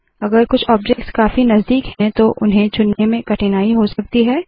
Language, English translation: Hindi, If some objects are closely placed, you may have difficulty in choosing them